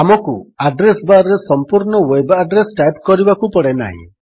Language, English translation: Odia, We dont have to type the entire web address in the address bar